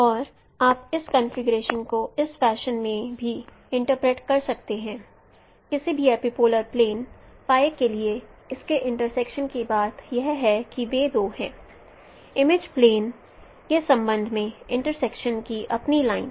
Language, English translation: Hindi, And you can also interpret the configuration in this fashion also for any epipolar plane pi, its point of intersections are those two, its line of intersections with respect image plane, those are the corresponding epipolar line